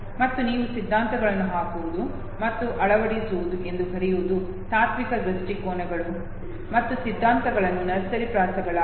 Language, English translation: Kannada, And what you called putting and fitting the theories hardcore philosophical viewpoints and theories into nursery rhymes, okay